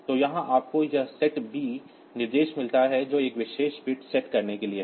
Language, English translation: Hindi, So, here also you get this set b instruction that is for setting one particular bit